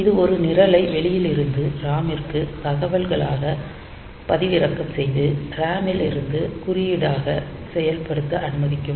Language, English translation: Tamil, So, this will allow a program to be downloaded from outside into the RAM as data and executed from RAM as code